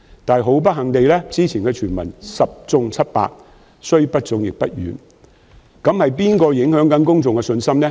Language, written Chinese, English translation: Cantonese, 但是，不幸地，之前的傳聞十中七八，雖不中，亦不遠，那麼是誰在影響公眾信心呢？, But unfortunately most of the previous rumours have proven to be true . While they may not be completely accurate they are nonetheless very close to the truth . So who is shattering public confidence?